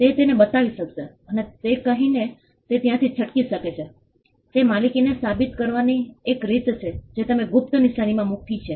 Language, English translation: Gujarati, He could show that, and he could get away with it he could say that, is one way to prove ownership you had given put in a secret mark